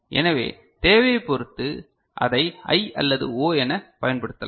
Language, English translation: Tamil, So, depending on our requirement we can use it as I or O